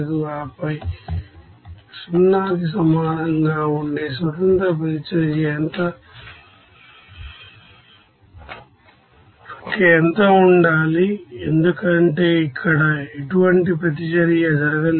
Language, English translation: Telugu, And then what should be the number of independent reaction that will be equals to 0 because here there is no reaction taken place